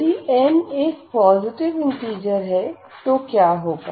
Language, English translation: Hindi, If n is a positive integer if n is a positive integer, what will happen